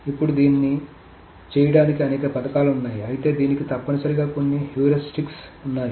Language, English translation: Telugu, Now there are many schemes to do that but there are essentially some heuristics to this